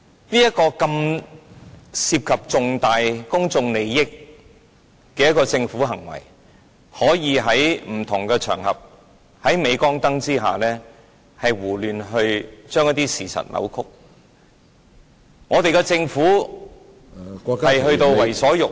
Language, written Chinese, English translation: Cantonese, 這是涉及重大公眾利益的事件，政府竟可以在不同場合，在鎂光燈下胡亂將事實扭曲，政府已經到了為所欲為......, This is an incident involving significant public interest and yet the Government could on various occasions and in the limelight arbitrarily distort the facts . The Government has now come to a state where it does whatever it pleases